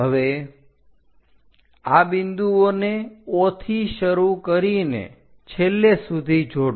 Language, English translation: Gujarati, Now, join this points all the way beginning with O